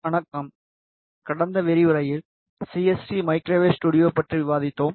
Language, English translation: Tamil, In the last lecture, we discussed about CST microwave studio